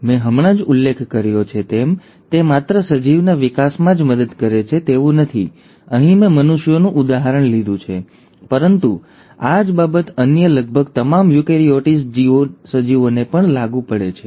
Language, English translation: Gujarati, As I just mentioned, it not only helps in the growth of an organism, here I have taken an example of human beings, but the same applies to almost all the other eukaryotic organisms